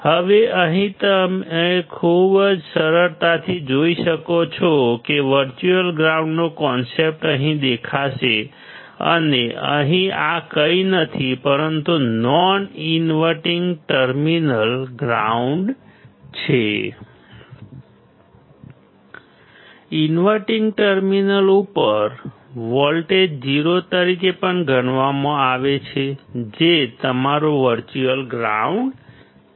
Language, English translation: Gujarati, Now here you can see very easily that the concept of virtual ground will appear here and here this is nothing, but because the non inverting terminal is grounded; the voltage at the inverting terminal is also considered as 0 which is your virtual ground